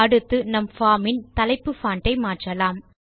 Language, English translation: Tamil, Next, let us change the font of the heading on our form